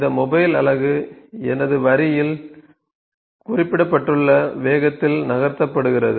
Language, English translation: Tamil, This mobile unit is moved in a speed that is mentioned on my line on my conveyor